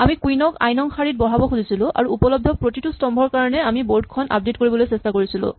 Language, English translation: Assamese, So, we wanted to place the queen in row i and for each column that is available we would try to update the board and so on